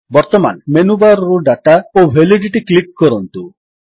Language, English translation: Odia, Now, from the Menu bar, click Data and Validity